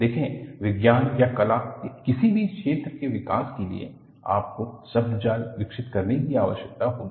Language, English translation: Hindi, See, for the development of any field of Science or Art, you would need to develop jargons